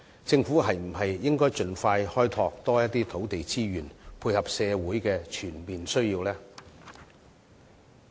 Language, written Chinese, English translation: Cantonese, 政府是否應該盡快開拓更多土地資源，配合社會的全面需要呢？, Should the Government not take actions as soon as possible to explore more land resources to cope with the overall needs of society?